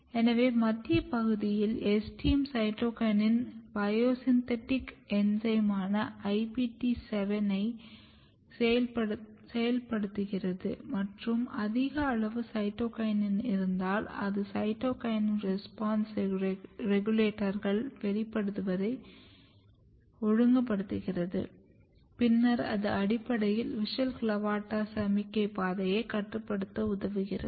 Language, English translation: Tamil, So, if you look the central region in central region STM is activating cytokinin biosynthetic enzyme which is IPT7 and then you have high amount of cytokinin and then cytokinin is regulating expression of cytokinin response regulators and then it is basically helping in establishing WUSCHEL CLAVATA signaling or regulating WUSCHEL CLAVATA signaling pathway